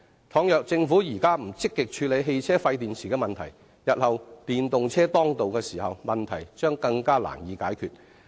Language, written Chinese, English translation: Cantonese, 如果政府現在不積極處理汽車廢電池的問題，日後電動車當道，問題將更難以解決。, If the Government does not actively tackle the problem of waste car batteries now it will only find this problem more difficult to solve when EVs come into wide use in the future